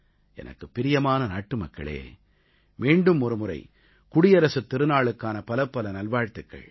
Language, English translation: Tamil, My dear countrymen, once again many many good wishes for the Republic Day celebrations